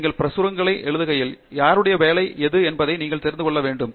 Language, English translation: Tamil, So, when you write publications you should know whose work was this